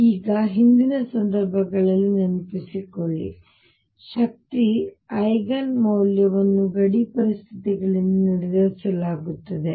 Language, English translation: Kannada, Now recall in earlier cases at energy Eigen value is determined by the boundary conditions